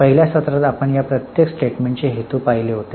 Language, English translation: Marathi, In the first session we had seen the purposes of each of these statements